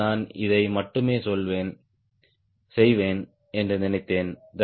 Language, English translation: Tamil, right today, i thought i will only do this much